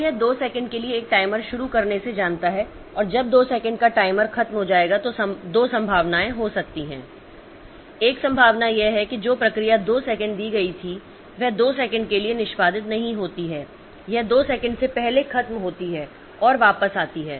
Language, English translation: Hindi, So, it knows by starting a timer for two second and when the two second is over the timer will come and there can be two possible there are two possibilities one possibility is that the process that was given two second does not execute for two second it finishes before two second and comes back or it goes into an i